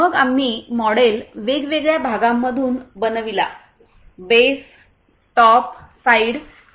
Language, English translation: Marathi, Then we made the model from different parts – base, top, side, etc